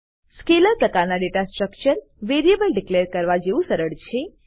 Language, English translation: Gujarati, Scalar type of data structure is as simple as declaring the variable